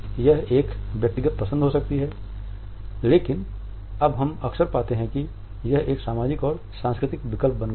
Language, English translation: Hindi, It can be a personal choice, but more often now we find that it has become a social and cultural choice